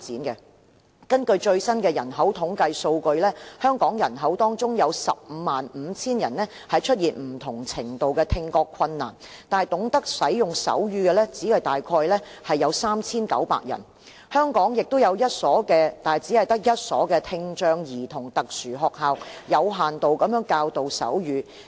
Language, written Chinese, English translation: Cantonese, 根據最新的人口統計數據，香港人口當中有 155,000 人出現不同程度的聽覺困難，但懂得使用手語的只有大約 3,900 人，而香港也只有一所聽障兒童特殊學校，有限度地教導手語。, According to the latest demographic data 155 000 people in Hong Kong have a varying extent of hearing difficulty but only about 3 900 people know how to use sign language and there is only one special school providing a limited extent of sign language education for children with hearing impairment